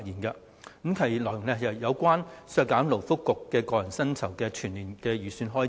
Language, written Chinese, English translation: Cantonese, 該修正案內容是有關削減勞工及福利局個人薪酬的全年預算開支。, The amendment is to deduct the estimated full - year expenditure for the remuneration of the Secretary for Labour and Welfare